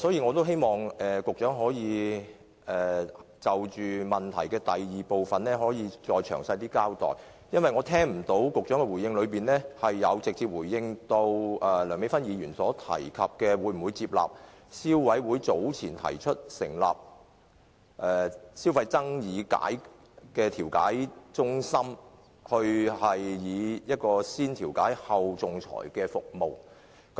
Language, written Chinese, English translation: Cantonese, 我希望局長可以就質詢第二部分再詳細交代，因為局長在答覆中沒有直接回應梁美芬議員的提問，會否採納消委會早前提出的建議，成立消費爭議解決中心，提供"先調解，後仲裁"的服務。, I hope the Secretary can elaborate his reply in part 2 of the question because he has not directly answered the question raised by Dr Priscilla LEUNG as to whether the Government will adopt the recommendation made by CC earlier to establish a Consumer Dispute Resolution Centre for the provision of Mediation First Arbitration Next service